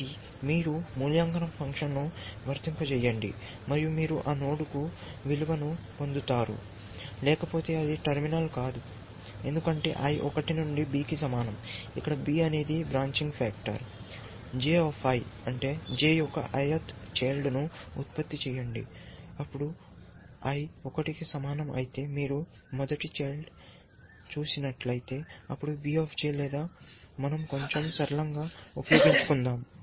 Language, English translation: Telugu, So, you simply apply the evaluation function, and you get the value for that note, else it is not terminal for i is equal to 1 to b, where b is the branching factor, generate the J i the i th child of J, then if i equal to 1, which means if you are looking at the first child, then V J or let we uses slightly simpler is this